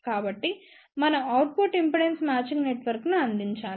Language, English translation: Telugu, So, we need to provide output impedance matching network